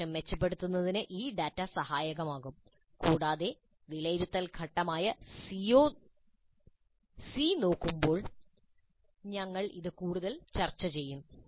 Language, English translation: Malayalam, So this data would be helpful in improving the instruction and we'll discuss this further when we look at the phase C, which is assessment and evaluation